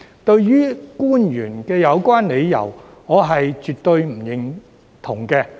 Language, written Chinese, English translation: Cantonese, 對於官員的有關理由，我絕不認同。, I by no means agree with the officials reasoning